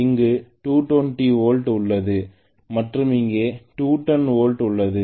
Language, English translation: Tamil, Originally maybe, I had 220 volts here and 210 volts here which is EB